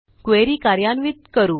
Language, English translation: Marathi, And run the query